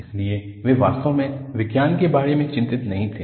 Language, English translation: Hindi, So, they were not really worried about Science